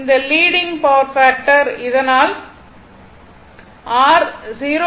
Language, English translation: Tamil, It is leading power factor so that is your 0